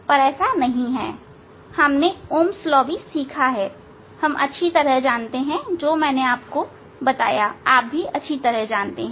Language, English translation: Hindi, but it is not like this whatever we learn that Ohm s law we know very well whatever I told you know very well